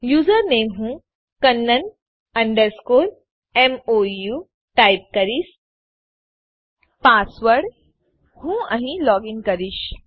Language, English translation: Gujarati, The username I will type kannan underscore Mou, Password i will login here